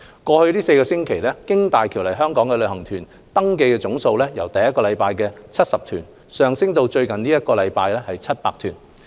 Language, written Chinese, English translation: Cantonese, 過去4周，經大橋來港的旅行團登記總數由第一周的約70團上升至最近一周的超過700團。, In the past four weeks the number of registered tour groups visiting Hong Kong through HZMB increased from around 70 groups in the first week to over 700 groups in the week just passed